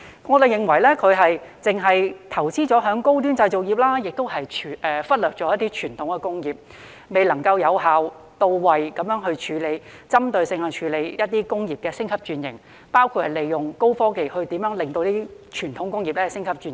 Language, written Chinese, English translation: Cantonese, 我們認為當局只是投資在高端製造業，忽略了一些傳統工業，未能有效、到位、針對性地處理一些工業的升級轉型，包括如何利用高科技幫助傳統工業升級轉型。, In our view the authorities have only invested in high - end manufacturing industries and neglected some traditional industries failing to deal with the upgrading and restructuring of some industries in an effective focused and targeted manner including how to make use of high technology to help traditional industries upgrade and restructure